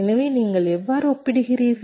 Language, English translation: Tamil, so how do you compare